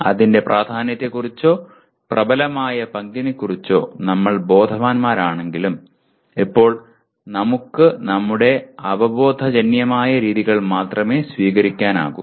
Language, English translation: Malayalam, While we are aware of its importance or dominant role, but we can only adopt our intuitive methods right now